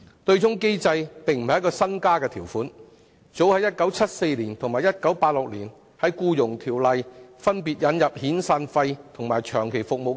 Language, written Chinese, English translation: Cantonese, 對沖機制並不是一項新安排，《僱傭條例》早於1974年及1986年，分別引入遣散費和長期服務金。, The offsetting arrangement is not a new arrangement . As early as 1974 and 1986 severance and long service payments were respectively introduced under the Employment Ordinance